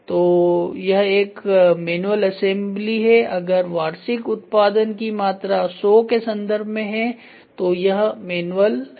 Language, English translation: Hindi, So, this is going to be manual assembly, if the annual production volume is in terms of 100 it is manual